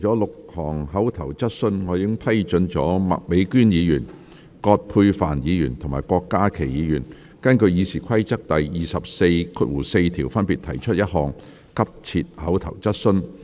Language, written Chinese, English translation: Cantonese, 今次會議除了6項口頭質詢，我已批准麥美娟議員、葛珮帆議員及郭家麒議員根據《議事規則》第244條，分別提出一項急切口頭質詢。, Apart from six oral questions for this meeting with my permission three urgent oral questions will be asked by Ms Alice MAK Ms Elizabeth QUAT and Dr KWOK Ka - ki respectively under Rule 244 of the Rules of Procedure